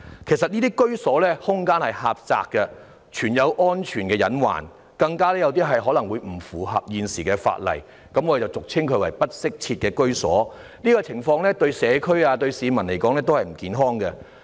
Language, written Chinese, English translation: Cantonese, 其實，這些居所的空間很狹窄，存有安全隱患，更有一些可能並不符合現時的法例，我們俗稱這類住所為"不適切居所"，這種情況對社區和市民來說並不健康。, As a matter of fact these residences have very narrow spaces with potential safety hazards some may even fail to comply with the existing legislation we commonly call this kind of accommodation inadequate housing . Such circumstances are unhealthy to the community and the people